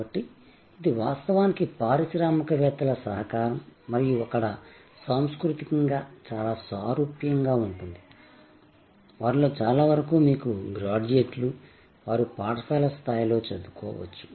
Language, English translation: Telugu, So, this is actually a cooperative of entrepreneurs and there all culturally very similar, many of them may be you know not graduates, they may be just educated at school level